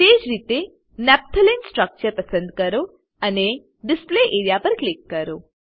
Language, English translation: Gujarati, Likewise lets select Naphtalene structure and click on the Display area